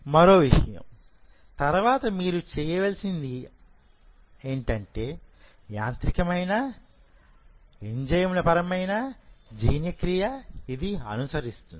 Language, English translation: Telugu, Second what you have to do is followed by that after this mechanical and enzymatic digestion